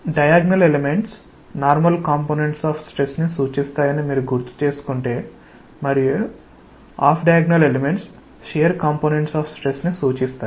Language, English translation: Telugu, If you recall the diagonal elements represent normal components of stress, and the off diagonal elements represent the shear components of stress